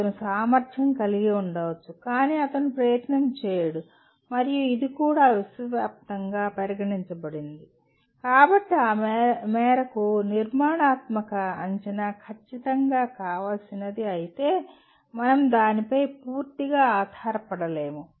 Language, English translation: Telugu, He may be capable but he will not put the effort and this also has been observed universally, so, to that extent formative assessment while it is certainly desirable we cannot completely depend on that